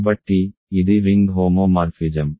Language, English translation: Telugu, So, this a ring homomorphism